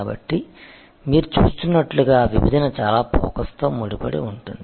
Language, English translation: Telugu, So, as you see therefore, segmentation is very closely link with focus